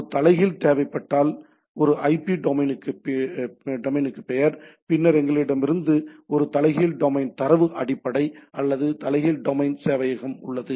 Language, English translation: Tamil, If there is a inverse is required, name to a IP to domain, then we have a inverse domain data base right, or inverse domain server which is which does a inverse domain resolution